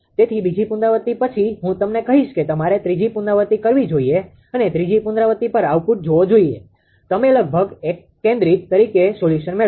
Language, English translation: Gujarati, So, after second iteration I will ask you that you should make third iteration and see output at third iteration you will find solution as almost converged